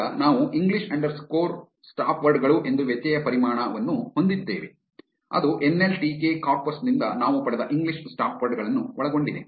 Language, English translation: Kannada, Now we have a variable called english underscore stopwords which contains english stopwords that we have obtained from the nltk corpus